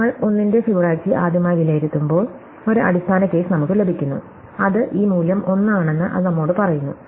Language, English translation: Malayalam, When, we evaluate Fibonacci of 1 for the first time, we get a base case and it tells us that this value is 1